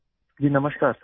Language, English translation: Urdu, Ji Namaskar Sir